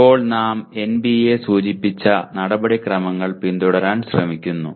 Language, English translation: Malayalam, Now we try to follow a little bit or rather we try to follow the procedures indicated by NBA